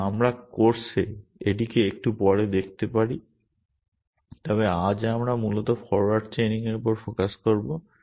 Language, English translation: Bengali, And we might just look at it a little bit later on in the course, but today we will focus on forward chaining essentially